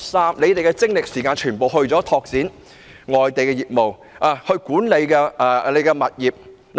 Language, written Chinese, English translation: Cantonese, 港鐵公司把精力和時間全部用於拓展外地業務及管理物業。, MTRCL has put all its energy and time into the expansion of its overseas businesses and property management